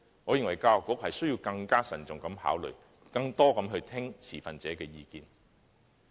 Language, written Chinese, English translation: Cantonese, 我認為教育局需要更慎重考慮，以及多聽持份者的意見。, I think that the Education Bureau all the more needs to make prudent consideration and listen to the views of stakeholders